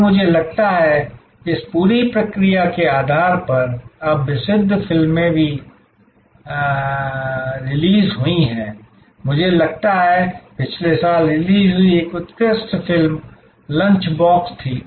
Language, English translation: Hindi, And I think, there are famous movies also now released based on this whole process, I think that an excellent movie that was released last year was lunch box